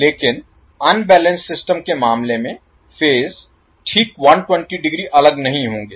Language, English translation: Hindi, But in case of unbalanced system the phases will not be exactly 120 degree apart